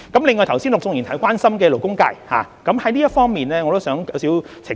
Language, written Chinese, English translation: Cantonese, 另外，剛才陸頌雄議員關心勞工界，就這方面我想作一些澄清。, Besides I would like to make some clarifications in response to Mr LUK Chung - hungs earlier concern over labour interests